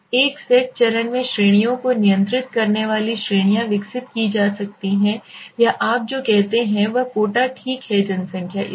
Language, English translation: Hindi, The 1st stage consists of developing the categories control categories or what you say is quota right at the population